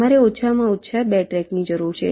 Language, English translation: Gujarati, you need minimum two tracks